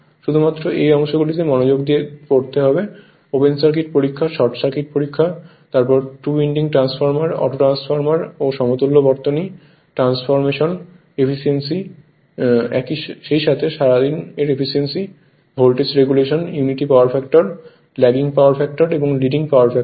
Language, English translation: Bengali, Only thing what portion we have to your concentrate that is open circuit test, short circuit test, then your auto transformer right composition of the value of 2 winding transformer and autotransformer right and equivalent circuit and transformation and the efficiency as well as the all day efficiency and the voltage regulation for at unity power factor lagging power factor and leading power factor right